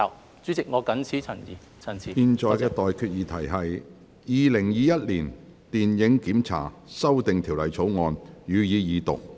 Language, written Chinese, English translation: Cantonese, 我現在向各位提出的待決議題是：《2021年電影檢查條例草案》，予以二讀。, I now put the question to you and that is That the Film Censorship Amendment Bill 2021 be read the Second time